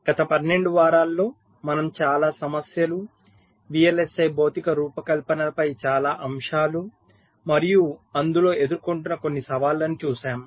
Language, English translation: Telugu, so over the last to vlsi we have seen lot of issues, lot of aspects on vlsi physical design and some of the challenges that are faced there in